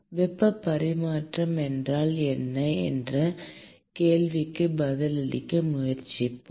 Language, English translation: Tamil, Let us try to answer this question as to what is heat transfer